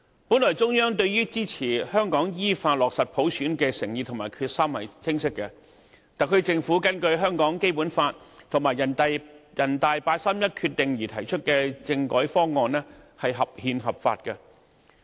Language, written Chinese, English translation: Cantonese, 本來，中央對支持香港依法落實普選的誠意和決心是清晰的，特區政府根據香港《基本法》和人大常委會八三一決定而提出的政改方案是合憲、合法的。, The Central Authorities were thoroughly sincere and determined in granting support to the implementation of universal suffrage in Hong Kong . The constitutional reform proposal formulated under the Basic Law and the 31 August Decision by the Special Administrative Region Government was compliant with the constitution and the law